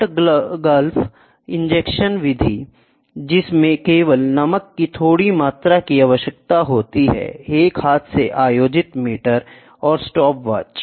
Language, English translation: Hindi, The salt gulf injection method which requires only a small quantity of salt solution, a hand held conducting meter and the stopwatch we can do it